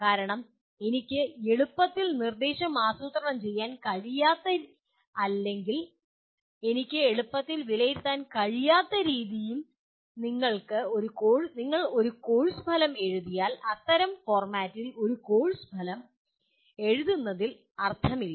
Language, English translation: Malayalam, Because if you write a course outcome for which I cannot easily plan instruction or I cannot easily assess; there is no point in writing a course outcome in that kind of format